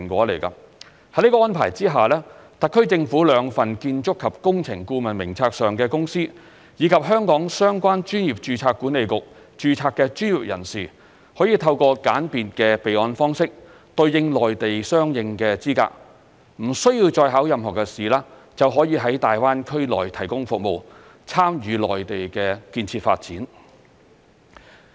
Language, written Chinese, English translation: Cantonese, 在這安排下，特區政府兩份建築及工程顧問名冊上的公司，以及在香港相關專業註冊管理局註冊的專業人士，可以透過簡便的備案方式，對應內地相應的資格，不需要再應考任何考試，就可以在粵港澳大灣區內提供服務，參與內地的建設發展。, Under this arrangement consultant firms on the two government lists of architectural and engineering consultants as well as professionals registered with relevant registration boards in Hong Kong will be able to provide services in the Guangdong - Hong Kong - Macao Greater Bay Area and take part in the development of the Mainland by obtaining equivalent qualifications in the Mainland through a simple registration system without the need to take any examinations